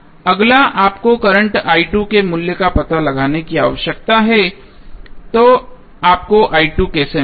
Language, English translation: Hindi, Next is you need to find out the value of current i 2, so how you will get i 2